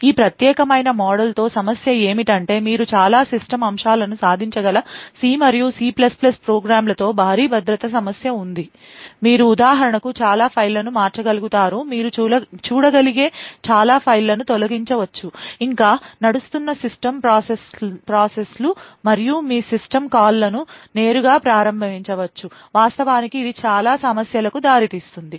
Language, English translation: Telugu, The problem with this particular model is that there is a huge security concern right with C and C++ programs you can achieve a lot of system aspects, you would be able to for example manipulate a lot of files, delete files you could see a lot of system processes that is running and so on, you could directly invoke system calls and this could actually lead to a lot of problems